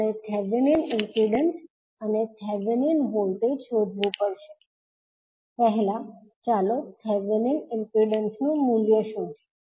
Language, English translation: Gujarati, We have to determine the Thevenin impedance and Thevenin voltage, first let us find out the value of Thevenin impedance